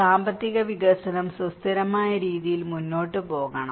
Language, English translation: Malayalam, That economic development should proceed in a sustainable manner